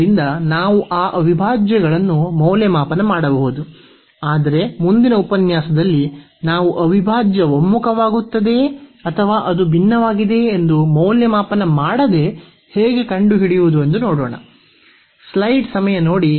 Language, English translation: Kannada, So, we can evaluate those integrals, but in the next lecture we will see that how to how to find without evaluating whether the integral converges or it diverges